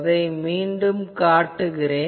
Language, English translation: Tamil, So, let me draw again that